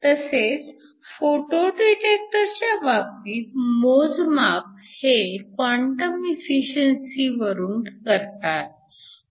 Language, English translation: Marathi, Also in the case of a photo detector, the metric is the quantum efficiency